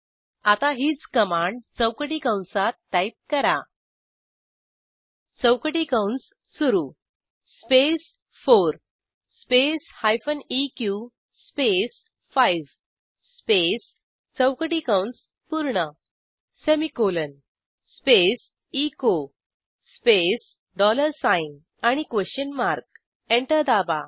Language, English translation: Marathi, Now lets write the same expression within square brackets, type: opening square bracket space 4 space hyphen eq space 5 space closing square bracket semicolon space echo space dollar sign question mark Press Enter